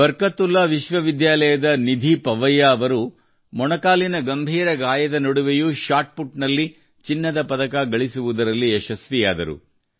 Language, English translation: Kannada, Nidhi Pawaiya of Barkatullah University managed to win a Gold Medal in Shotput despite a serious knee injury